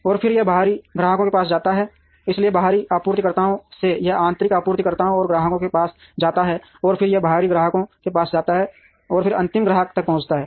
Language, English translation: Hindi, And then it moves to external customers, so from external suppliers, it moves to the internal suppliers and customers, and then it moves to the external customers and then it reaches the final customer